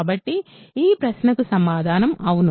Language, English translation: Telugu, So, the answer to this question is yes ok